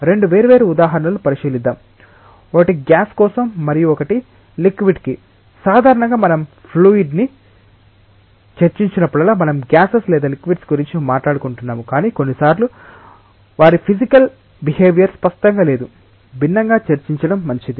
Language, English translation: Telugu, Let us consider 2 different examples, one is for a gas and another is for a liquid, usually whenever we discuss about fluids, we are either talking about gases or liquids, but sometimes their physical behavior it is better to discuss distinctly or differently